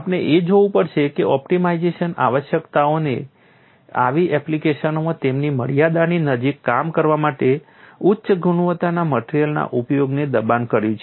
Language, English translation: Gujarati, We have to look at that optimization requirements have pushed the use of high quality materials to operate closer to their limits in such applications